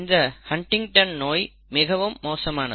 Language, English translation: Tamil, And these things refer to the HuntingtonÕs disorder